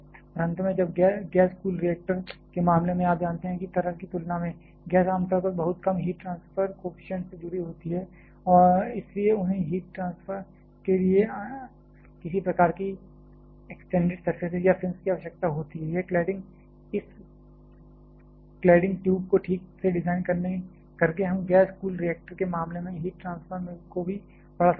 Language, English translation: Hindi, And finally, when in case of gas cool reactors, you know that compared to liquid, gas generally is associated much lower heat transfer coefficient and hence they need some kind of extended surfaces or fins for heat transfer, this cladding by properly designing the cladding tube we can also enhance the heat transfer in case of a gas cool reactor